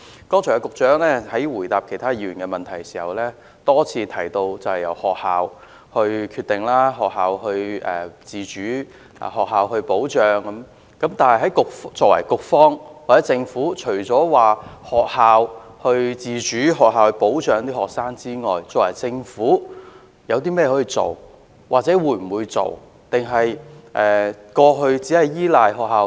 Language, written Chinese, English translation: Cantonese, 局長剛才答覆其他議員的補充質詢時多次提到，由學校決定、學校自主及由學校保障學生，但局方或政府還可以做些甚麼，還是仍像過去一樣只是依賴學校？, In answering the supplementary questions raised by other Members the Secretary has repeatedly mentioned that it is up to the institutions to make the decisions that the institutions enjoy autonomy and that the institutions should endeavour to protect their students . What else can the Bureau or the Government do? . Are we going to rely on the institutions alone as was the case in the past?